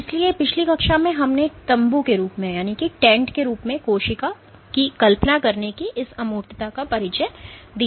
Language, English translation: Hindi, So, in the last class we introduced this abstraction of imagining the cell as a tent